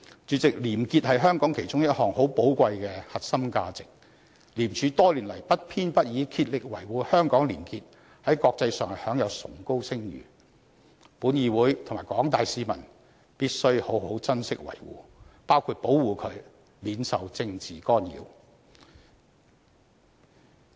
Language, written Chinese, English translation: Cantonese, 主席，廉潔是香港其中一項很寶貴的核心價值，廉署多年來不偏不倚的竭力維護香港的廉潔，在國際上享有崇高聲譽，因此本議會及廣大市民必須好好珍惜維護，包括保護它免受政治干擾。, President probity is among the most precious core values of Hong Kong . Having spared no efforts in acting impartially to uphold probity in Hong Kong over the years ICAC enjoys high reputation in the international community . Therefore both this Council and the general public must cherish and defend it safeguarding it against any political interference